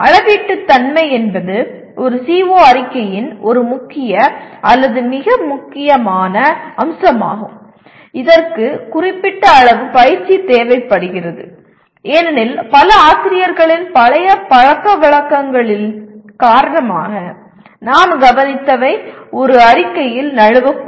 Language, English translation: Tamil, Measurability is one major or most important aspect of a CO statement and this requires certain amount of practice because what we observed many teachers kind of because of their old their habits may slip into a statement